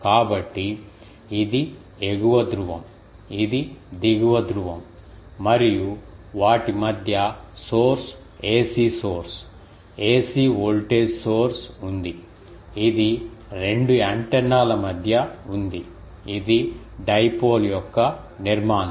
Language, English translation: Telugu, So, this is the upper pole this is the lower pole and between them there is a source ac source, ac voltage source, which is there between the 2 antennas this is the structure of dipole